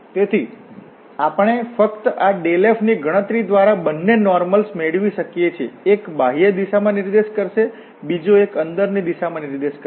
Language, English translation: Gujarati, So, we can get both the normals by just computing this dell f, one will be pointing out in the outward direction, the other one will be pointing out in the inward direction